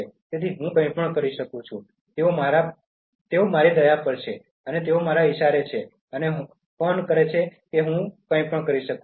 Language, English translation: Gujarati, So, I can do anything, they are at my mercy, they are at my beck and call I can do anything